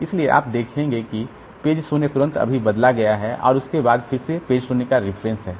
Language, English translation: Hindi, So, page 0 is just replaced and after that again there is a reference to page 0